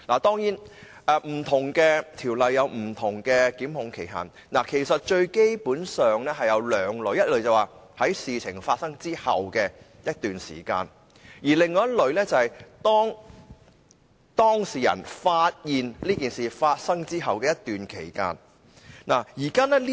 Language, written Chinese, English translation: Cantonese, 不同條例有不同檢控期限，基本上分為兩類：第一類是事件發生後的一段期間，而另一類是當事人發現事件後的一段期間。, There are basically two types of time limit for prosecution under various laws within a certain period of time after the date of the commission of the offence or within a certain period of time after the date of the discovery of the offence